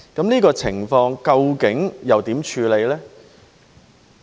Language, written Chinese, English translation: Cantonese, 這個情況究竟如何處理呢？, How should this situation be handled?